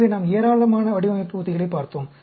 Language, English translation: Tamil, So, we looked at a large number of design strategies